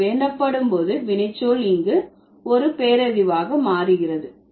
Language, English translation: Tamil, So when it is solicited, the verb becomes an adjective here